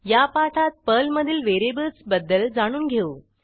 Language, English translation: Marathi, Welcome to the spoken tutorial on Variables in Perl